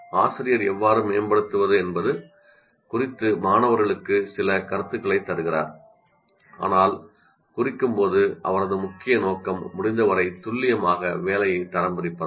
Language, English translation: Tamil, Teacher gives students some comments on how to improve, but her main aim when marking is to grade the work as accurately as possible